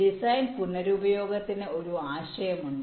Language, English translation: Malayalam, there is a concept of design reuse